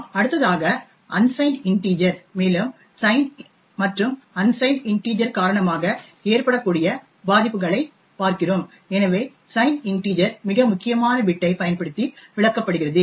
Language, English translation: Tamil, The next thing we look at is unsigned integers and the vulnerabilities that can be caused by due to sign and unsigned integers, so as we know signed integers are interpreted using the most significant bit